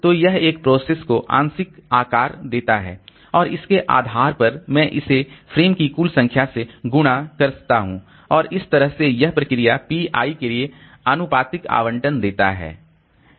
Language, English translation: Hindi, And based on that, I give, multiply it by total number of frames and that gives the proportional allocation for this process PI